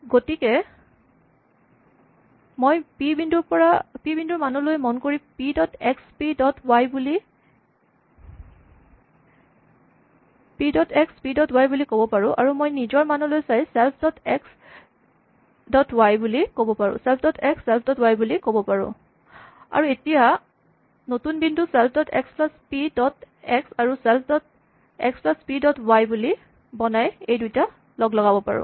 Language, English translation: Assamese, So, I can look at the values of p and say p dot x p dot y, I can look at my value and say self dot x self dot y, and now I can combine these by creating a new point self dot x plus p dot x and self dot x plus p dot y